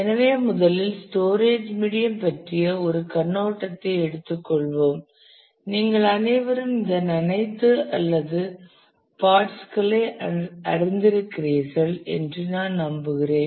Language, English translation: Tamil, So, first let us take a overview of the physical storage medium I am sure all of you have known all or parts of this